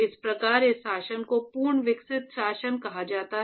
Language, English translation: Hindi, And then you have something called a fully developed regime